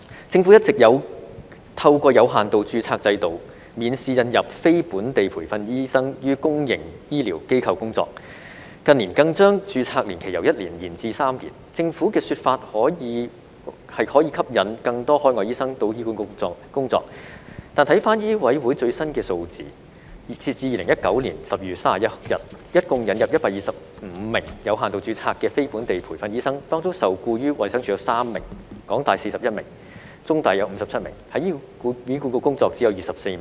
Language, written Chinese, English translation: Cantonese, 政府一直有透過有限度註冊制度，免試引入非本地培訓醫生於公營醫療機構工作，近年更將註冊年期由1年延至3年，政府的說法是可以吸引更多海外醫生到醫管局工作，但根據香港醫務委員會最新的數字，截至2019年12月31日，一共引入125名有限度註冊的非本地培訓醫生，當中受僱於衞生署有3名、港大有41名、中大有57名，而在醫管局工作只有24名。, The period of limited registration has been extended from one year to three years in recent years in the hope of attracting more overseas doctors to work in HA . However according the latest statistics of the Medical Council of Hong Kong MCHK as of 31 December 2019 a total of 125 non - locally trained doctors have been admitted under limited registration . Among them three were employed by the Department of Health 41 by HKU 57 by CUHK and only 24 were working in HA